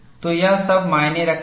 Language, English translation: Hindi, So, all that matters